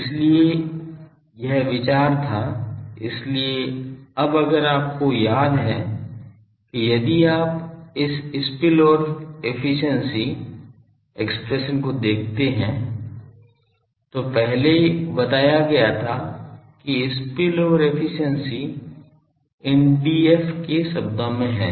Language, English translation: Hindi, So, that was the idea that; so, this now if you remember if you see this spillover efficiency expression derived earlier that spillover efficiency is in terms of D f into these